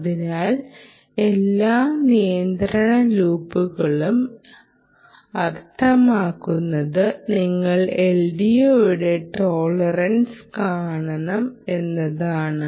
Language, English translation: Malayalam, so, all the control loops, all of it means that you must look at tolerance of the l d o, which you may want to